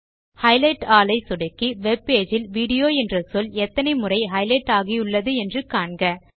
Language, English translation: Tamil, Now click on Highlight all to highlight all the instances of the word video in the webpage